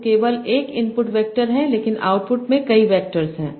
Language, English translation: Hindi, For each word I have an input vector and output vector